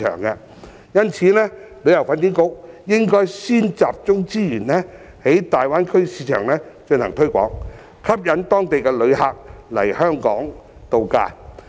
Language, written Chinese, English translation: Cantonese, 因此，旅發局應該先集中資源在大灣區市場進行推廣，吸引當地旅客來港度假。, For this reason HKTB should first concentrate its resources on conducting promotion in the Greater Bay Area market to induce visitors from the region to spend a vacation in Hong Kong